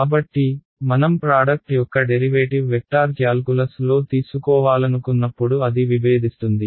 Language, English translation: Telugu, So, when I want to take the derivative of the product the in vector calculus it becomes divergence right